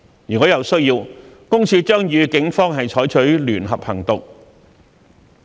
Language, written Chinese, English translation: Cantonese, 如有需要，私隱公署將與警方採取聯合行動。, Where necessary it will conduct joint operation with the Police